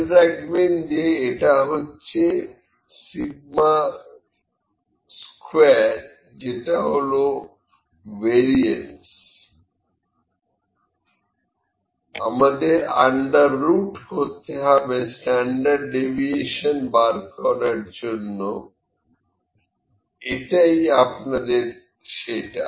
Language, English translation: Bengali, Just be mindful that this is sigma square, this is variance we need to take under root to find the standard deviation, this is that for you